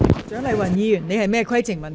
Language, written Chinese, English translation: Cantonese, 蔣麗芸議員，你有甚麼規程問題？, Dr CHIANG Lai - wan what is your point of order?